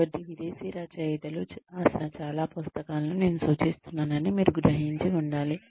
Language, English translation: Telugu, So, you must have realized that, I am referring to a lot of books, written by foreign authors